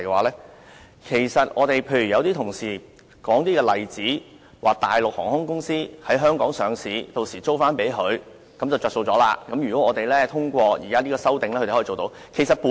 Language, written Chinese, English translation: Cantonese, 例如有同事指大陸航空公司可在香港上市，然後把飛機租給自己，從中取利，這是通過是項修正案後可做到的事情。, For example some colleagues opined that after passage of the proposed CSAs Mainland airlines listed in Hong Kong can reap profits by leasing aircraft to their own subsidiary companies